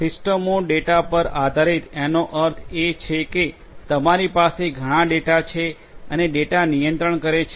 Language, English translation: Gujarati, Systems are data driven means like you know you are; you have lot of data and data is controlling